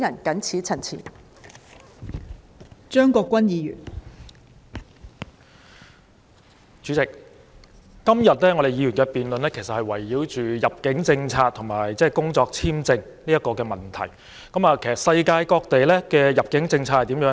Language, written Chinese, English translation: Cantonese, 代理主席，議員今天的辯論圍繞入境政策和工作簽證的問題，而世界各地的入境政策如何呢？, Deputy President Members debate today is centred on immigration policy and work visas . What about the immigration policy of various places in the world?